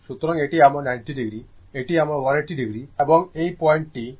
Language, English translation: Bengali, So, this is my 90 degree, this is my one 80 degree, and this point is 270 degree